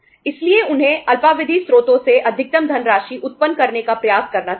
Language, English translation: Hindi, So they should try to generate maximum funds from short term sources